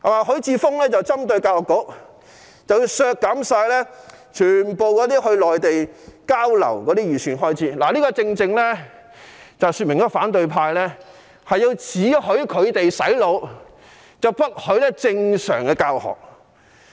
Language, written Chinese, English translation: Cantonese, 許智峯議員針對教育局，提出削減全部前往內地交流的預算開支，這正正說明反對派只許他們"洗腦"，不許正常教學。, As evident by Mr HUI Chi - fungs proposal which targets the Education Bureau and seeks to cut all the estimated expenditure for Mainland exchange programmes the opposition camp will allow their own brainwashing but not regular teaching